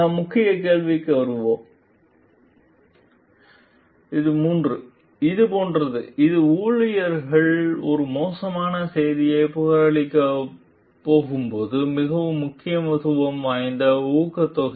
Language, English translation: Tamil, We will come to the Key Question 3; which is like, which is the incentive which matters most when like the employee is going to report a bad news